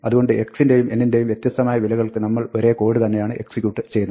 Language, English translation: Malayalam, So, for different values of x and n, we will execute the same code